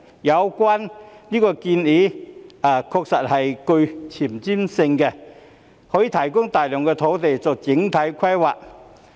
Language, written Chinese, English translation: Cantonese, 有關建議確實具前瞻性，可以提供大量土地作整體規劃。, The proposal is indeed forward - looking and can provide a lot of land for comprehensive planning